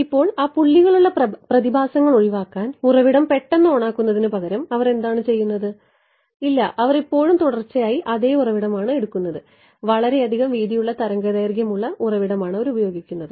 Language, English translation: Malayalam, Now, to avoid that speckle phenomena what are they doing instead of turning the source on abruptly they are making it no they are still using a what are they will continuous source wavelength width so much yeah